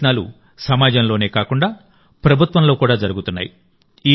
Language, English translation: Telugu, These efforts are being made not only within the society but also on part of the government